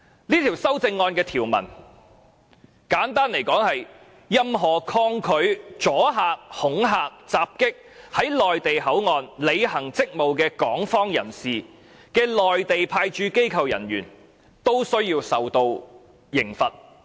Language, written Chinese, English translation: Cantonese, 這項修正案的條文，簡單來說是任何抗拒、阻礙、恐嚇、襲擊在內地口岸區履行職務的港方人士的內地派駐機構人員，均須受到懲罰。, In gist the amendment stipulates that any personnel of the Mainland Authorities Stationed at the Mainland Port Area resists obstructs intimidates and assaults any personnel of the Hong Kong authorities in performing their duties will be liable to punishment